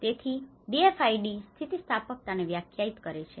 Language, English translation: Gujarati, So DFID defines resilience